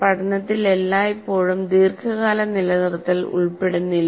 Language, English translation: Malayalam, Learning does not always involve long term retention